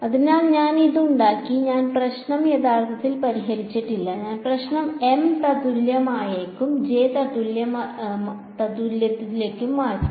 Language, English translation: Malayalam, So, I have made it I have not actually solved the problem I have just transferred the problem into M equivalent and J equivalent ok